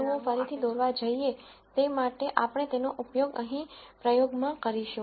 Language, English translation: Gujarati, So, if one were to draw these points again that that we use this in this exercise